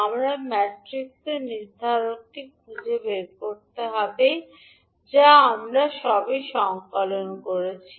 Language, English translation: Bengali, You have to just find out the determinant of the matrix which we have just compiled